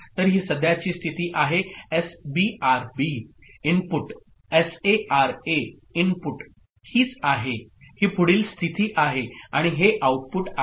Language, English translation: Marathi, So this is the current state, this is SBRB the inputs, S A RA the inputs, this is the these are the next state and this is the output